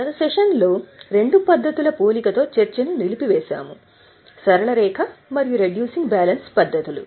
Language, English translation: Telugu, Last time we had stopped our discussion with the comparison of the two methods, straight line and reducing